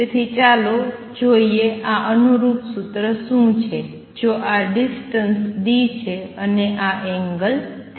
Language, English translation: Gujarati, So, let us see what is of corresponding formula if this distance is d and this angel is theta theta